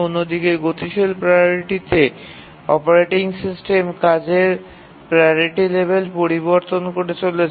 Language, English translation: Bengali, On the other hand in a dynamic priority, the operating system keeps on changing the priority level of tasks